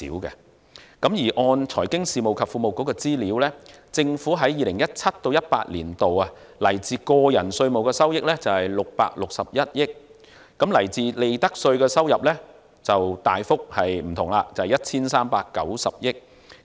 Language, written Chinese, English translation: Cantonese, 根據財經事務及庫務局的資料，政府在 2017-2018 年度來自個人稅務的收益為661億元，來自利得稅的收入則顯著不同，為 1,390 億元。, According to information from the Financial Services and the Treasury Bureau FSTB the Governments revenue from personal taxes in 2017 - 2018 was 66.1 billion while the revenue from profits tax was significantly different standing at 139 billion